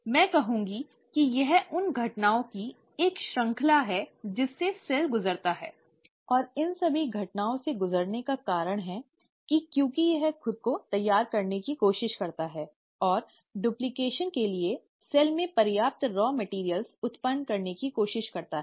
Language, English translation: Hindi, I would say it's a series of events that a cell undergoes, and the reason it undergoes all these events is because it tries to prepare itself, and tries to generate enough raw materials in the cell for duplication